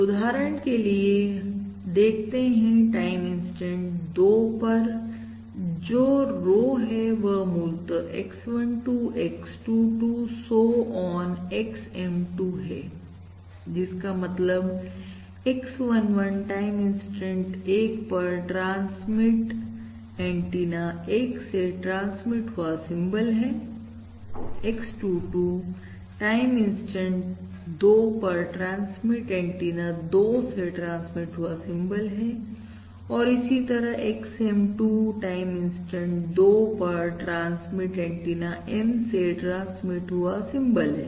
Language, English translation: Hindi, So, for instance, at time, instant time, instant 2, the row is basically X12, X22, so on, XM2, basically, which means that X 11 is a symbol transmitted at transmit antenna 1 at time instant 1, X2, X1, X, X22 is basically a symbol transmitted at, from transmit antenna 2 at time instant 2, and so on, until XM2, which is basically symbol transmitted from transmit antenna M at time instant 2